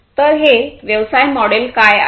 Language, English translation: Marathi, So, what is this business model